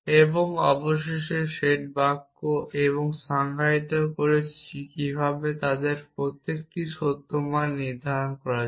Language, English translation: Bengali, And the finally, the set sentences and we defined how to assign truth value to each of them